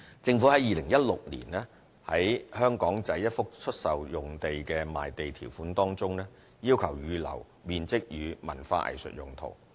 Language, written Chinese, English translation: Cantonese, 在2016年，政府於香港仔一幅出售用地的賣地條款中要求預留面積予文化藝術用途。, In 2016 the Government stipulated in the conditions of sale of an Aberdeen site a requirement to set aside certain floor areas for cultural and arts use